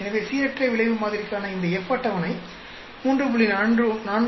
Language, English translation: Tamil, So, this F table for random effect model will be 3